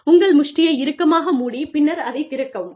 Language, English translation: Tamil, Tightly clench your fist, and open it